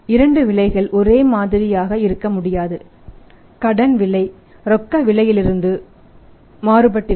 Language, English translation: Tamil, Two prices cannot be same cash price has to be different and the credit price has to be different